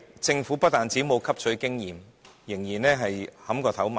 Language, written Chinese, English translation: Cantonese, 政府不但沒有汲取經驗，反而依然"撼頭埋牆"。, But instead of learning from past experience the Government still wants to bang its head against the wall